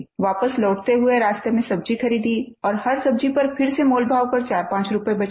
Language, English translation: Hindi, On the way back, we stopped to buy vegetables, and again she haggled with the vendors to save 45 rupees